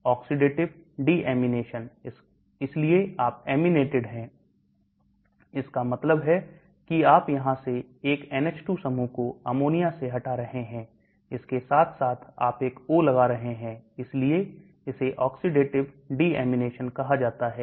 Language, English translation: Hindi, Oxidative deamination, so you are aminated, that means you are removing the NH2 group here into ammonia as well as you are putting a O, that is why it is called oxidative deamination